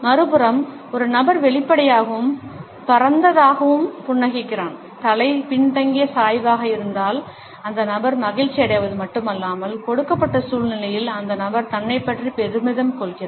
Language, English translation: Tamil, On the other hand, if a person is smiling openly and broadly and the head was backward tilt then the person is not only pleased, but the person is also proud of oneself in the given situation